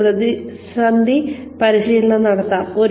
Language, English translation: Malayalam, We can have crisis training